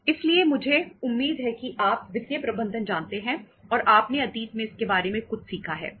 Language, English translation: Hindi, So I I expect that you know the financial management and you have learnt something about it in the past